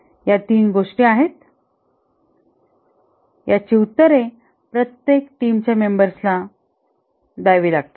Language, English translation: Marathi, These are only three things that each team members answers, discusses